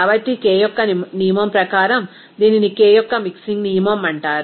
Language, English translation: Telugu, So, according to the rule of Kay’s, it is called Kay’s mixing rule